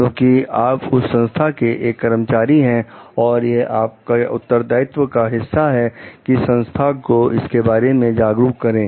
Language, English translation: Hindi, Because, you are an employee of that organization and it is a part of your responsibility to make the organization aware of it